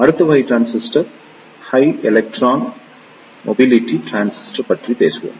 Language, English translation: Tamil, The next type of transistor, we will talk about is High Electron Mobility Transistor